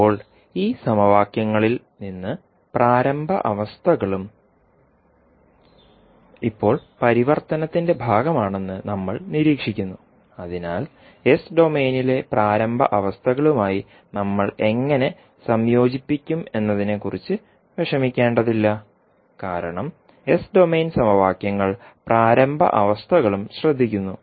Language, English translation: Malayalam, Now, from these equations we observe that the initial conditions are the now part of the transformation so we need not need not to worry about how we will incorporate with the initial conditions in s domain because the s domain equations take care of initial conditions also